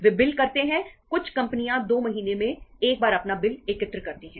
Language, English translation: Hindi, They bill, some some companies collect their bills in once in 2 months